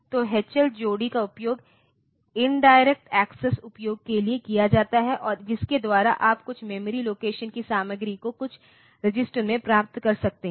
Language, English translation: Hindi, So, H L pair is used for indirect access, and by which you can you can get the content of some memory location to some register